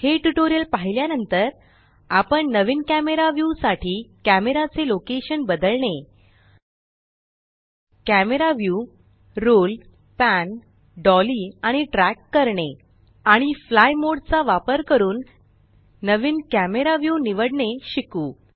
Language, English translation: Marathi, After watching this tutorial, we shall learn how to change the location of the camera to get a new camera view how to roll, pan, dolly and track the camera view and how to select a new camera view using the fly mode